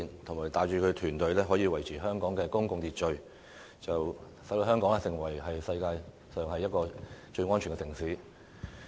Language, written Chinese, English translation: Cantonese, 他帶領他的團體維持香港的公共秩序，使香港成為世界上最安全的城市之一。, Under his leadership his team has been maintaining law and order in Hong Kong and made Hong Kong one of the safest cities in the world